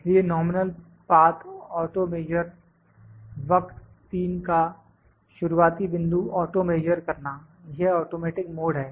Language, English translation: Hindi, So, nominal path the auto measure; auto measure the start point of the curve 3 we are this is the automatic mode